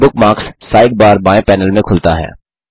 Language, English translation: Hindi, The Bookmarks sidebar opens in the left panel